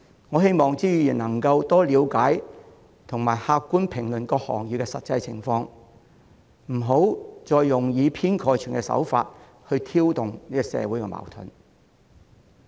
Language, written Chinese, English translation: Cantonese, 我希望朱議員能夠多了解和客觀評論各行業的實際情況，不要再用以偏概全的手法挑動社會矛盾。, I hope Mr CHU can better understand and comment objectively on the actual situation of various sectors instead of stirring up social conflicts by making sweeping statements